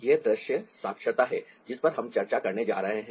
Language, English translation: Hindi, its ah visual literacy that we're going to discuss